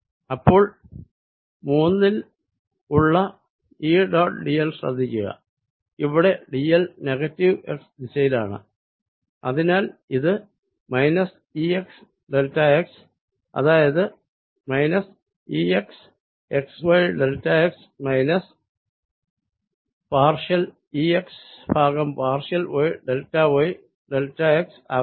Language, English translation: Malayalam, so this is going to be minus e x, delta x, which comes out to be minus e, x, x, y, delta x, minus partial e x by partial y, delta, y, delta x